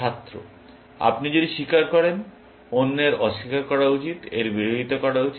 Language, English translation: Bengali, If you confess, the other deny it should be oppose it